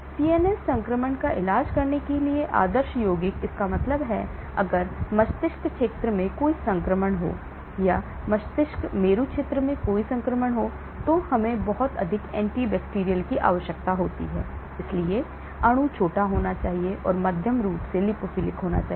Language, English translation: Hindi, Ideal compounds to treat CNS infection, that means if there are any infection in the brain region or if there are infection in the cerebrospinal region then we need to have a lot of anti bacterial right, so molecule should be small and is moderately lipophilic